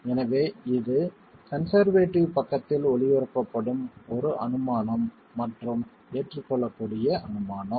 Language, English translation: Tamil, So, this is an assumption which is erring on the conservative side and so is an acceptable assumption itself